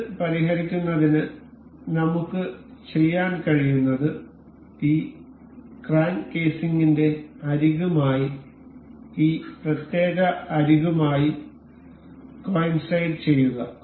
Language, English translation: Malayalam, To fix this, what we can do is we will have to coincide this particular edge with the edge of this crank casing